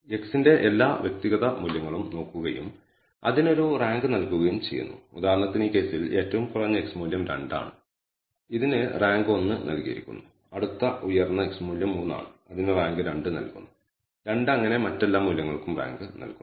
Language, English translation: Malayalam, So, what we have done is looked at all the individual values of x and assigned a rank to it for example, the lowest value in this case x value is 2 and it is given a rank 1 the next highest x value is 3 that is given a rank 2 and so on and so forth